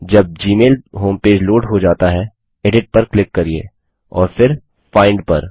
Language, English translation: Hindi, When the gmail home page has loaded, click on Edit and then on Find